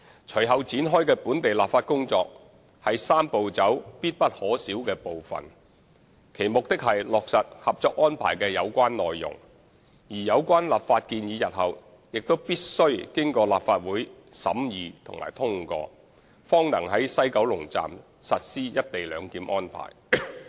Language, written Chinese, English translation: Cantonese, 隨後展開的本地立法工作是"三步走"中必不可少的部分，其目的是落實《合作安排》的有關內容，而有關立法建議日後必須經過立法會審議及通過，方能在西九龍站實施"一地兩檢"安排。, The local legislative exercise that follows is an essential part of the Three - step Process and its objective is to implement the relevant contents of the Co - operation Arrangement . The relevant legislative proposal must then be examined and enacted by the Legislative Council before co - location arrangement can be implemented at WKS